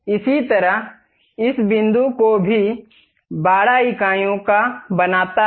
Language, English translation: Hindi, Similarly, this point to this point also make it 12 units